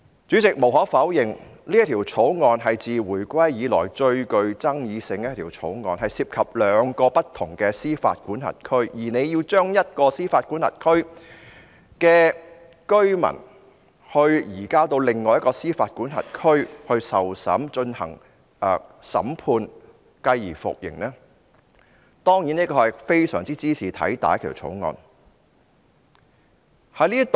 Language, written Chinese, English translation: Cantonese, 主席，無可否認，《條例草案》是自回歸以來最具爭議的一項條例草案，涉及兩個不同司法管轄區，而政府要將一個司法管轄區的居民移交至另一個司法管轄區進行審判，繼而服刑，這當然是茲事體大的一項條例草案。, President the Bill is undeniably the most controversial bill in the whole period from the day when Hong Kong was returned to China for it involves two different jurisdictions and the Government wants to transfer residents in one jurisdiction to another for trial and then to serve prison terms . This of course is a bill of enormous import